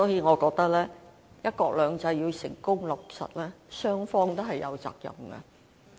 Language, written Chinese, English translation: Cantonese, 我認為，"一國兩制"要成功落實，雙方都有責任。, In my view in order for one country two systems to be successfully implemented both sides are obliged to do their part